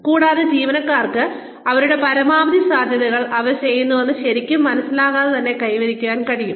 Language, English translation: Malayalam, And, so that, employees are able to achieve their maximum potential, without really realizing that, they are doing it